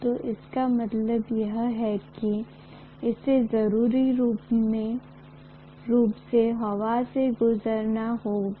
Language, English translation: Hindi, So that means it has to necessarily pass through air